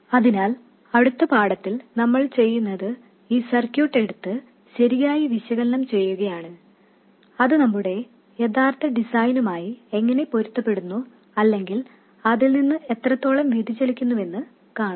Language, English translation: Malayalam, So, what we will do in the next lesson is to take this circuit and analyze it properly and see how it conforms to our original design or deviates from it